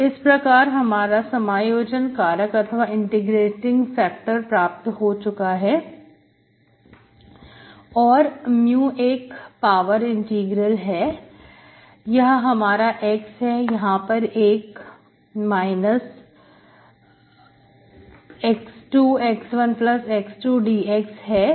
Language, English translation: Hindi, So my integrating factor, I already calculated is, mu is e power integral whatever I get here, this is my phi of x, there is one is to x divided by 1+ x square dx